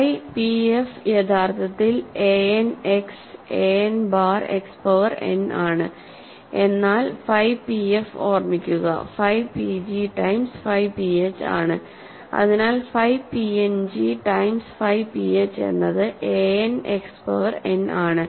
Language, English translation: Malayalam, So, phi p f is actually just a n X, a n bar X power n, but phi p f remember, is phi p g times phi p h, so phi p n g times phi p h is a n X power n